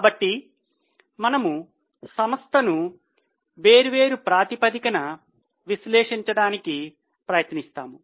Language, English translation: Telugu, So, we will try to analyze the company on different basis